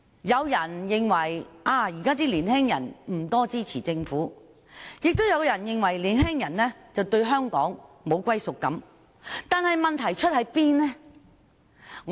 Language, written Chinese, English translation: Cantonese, 有人認為現今的年青人不支持政府，也有人認為年青人對香港沒有歸屬感，但問題出自何處？, Some people think that young people nowadays do not support the Government and some others consider that young people do not have a sense of belonging to Hong Kong